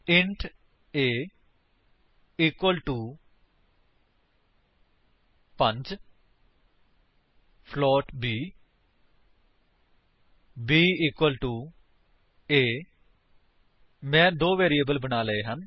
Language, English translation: Punjabi, int a equal to 5 float b b equal to a I have created two variables